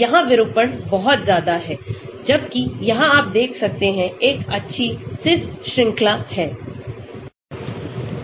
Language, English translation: Hindi, Here the distortion is much higher, whereas here you can see a nicely cis chain